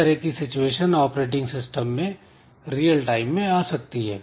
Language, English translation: Hindi, So, this type of situation can occur in many real situation in an operating system